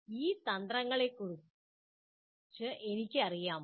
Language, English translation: Malayalam, Do I know of those strategies